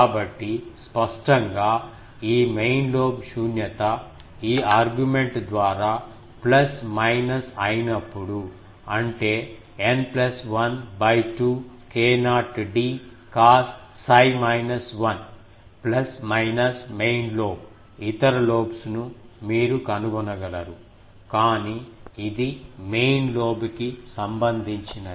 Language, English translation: Telugu, So, main lobe null obviously, when these thing will be plus minus by this argument; that means, n plus 1 by 2 k not d cos psi minus 1 will be plus minus main lobe, other lobes you can find out, but main lobes is this